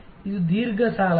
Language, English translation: Kannada, Is it long credit